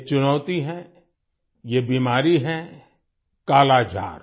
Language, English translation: Hindi, This challenge, this disease is 'Kala Azar'